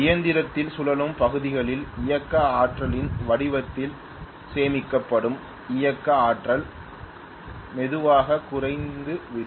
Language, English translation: Tamil, The kinetic energy that are stored in the form of kinetic energy in the rotating parts of the machine slowly that will get depleted